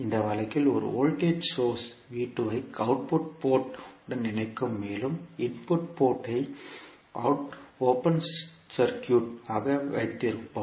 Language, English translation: Tamil, In this case will connect a voltage source V2 to the output port and we will keep the input port as open circuit